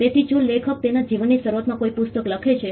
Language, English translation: Gujarati, So, if the author writes a book very early in his life